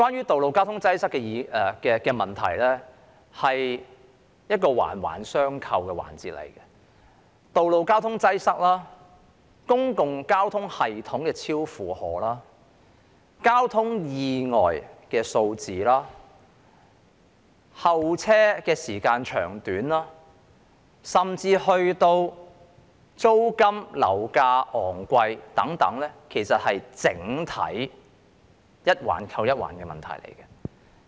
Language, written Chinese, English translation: Cantonese, 道路交通擠塞是一個環環相扣的問題，道路交通擠塞、公共交通系統超負荷、交通意外數字、候車時間長短，甚至租金和樓價昂貴等，是在整體上環環相扣的問題。, Road traffic congestion is an issue that is closely related to other issues . Road traffic congestion an overburdened public transport system number of traffic accidents duration of passenger waiting time and even exorbitant rents and property prices are all issues that are closely related in general